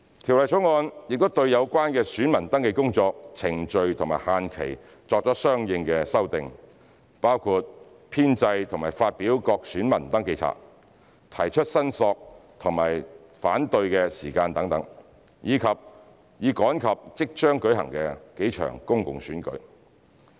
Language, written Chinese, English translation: Cantonese, 《條例草案》亦對有關的選民登記工作、程序和限期作相應修訂，包括編製和發表各選民登記冊、提出申索及反對的時間等，以趕及即將舉行的數場公共選舉。, The Bill has also made corresponding amendments to the relevant VR work procedures and deadlines including the compilation and publication of registers of voters the period for filing claims and objections so that the upcoming public elections can be held in time